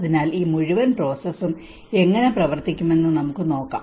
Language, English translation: Malayalam, So let us see how this whole process is going to work